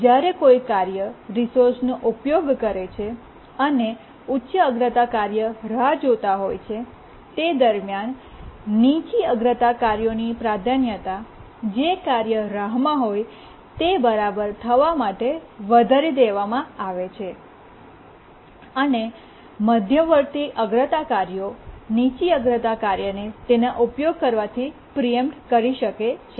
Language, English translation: Gujarati, And in the meanwhile, the lower priority tasks, the priority of that is enhanced to be equal to the task that is waiting and intermediate priority tasks they can preempt the low priority task from using it